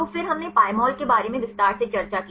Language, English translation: Hindi, So, then we discussed in detail about Pymol